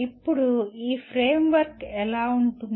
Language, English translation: Telugu, Now how does this framework look like